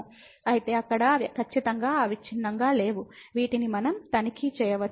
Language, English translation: Telugu, So, there they are certainly not continuous which we can check